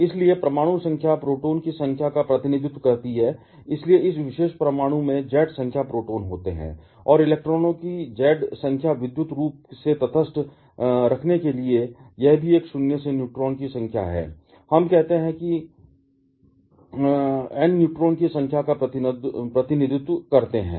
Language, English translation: Hindi, Therefore, atomic number, represent the number of protons, so this particular atom consists of Z number of protons and also Z number of electrons to keep it electrically neutral and also it is having A minus Z number of neutrons, let us say capital N represent the number of neutrons